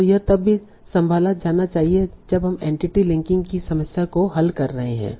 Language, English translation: Hindi, And this is also to be handled when we are solving the problem of entity linking